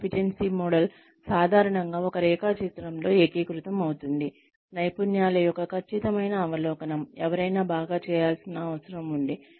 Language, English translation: Telugu, Competency model usually consolidates in one diagram, a precise overview of the competencies, that someone would need, to do a job well